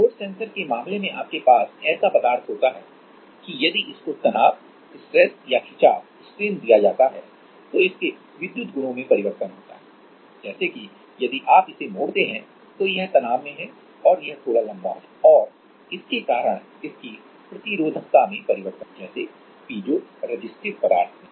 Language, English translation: Hindi, In case of force sensors you have a material if it is exposed to stress or strain, then it is electrical properties changes like if you bent it, then it is under tension and it becomes little bit elongated and because of that it is resistivity changes like for piezoresistive materials